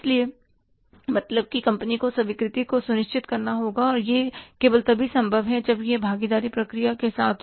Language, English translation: Hindi, So, acceptance has to be insured by the company and that is only possible that if it is with the participative process